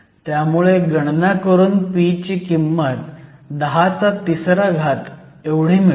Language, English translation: Marathi, So, you can actually work it out p comes to be 10 to the 3